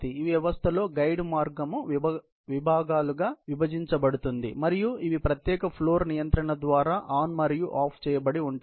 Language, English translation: Telugu, In the system, the guide path is divided into segments that are switched on and off by separate floor control